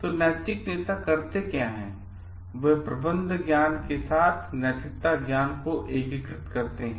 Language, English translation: Hindi, So, what they do is, moral leaders integrate the ethics wisdom with the management wisdom